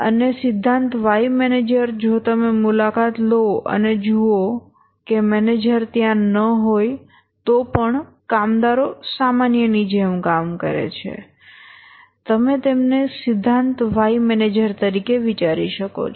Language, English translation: Gujarati, And theory Y manager if you visit and see that even when the manager is not there the workers are working as usual then the manager you can think of him as a theory why manager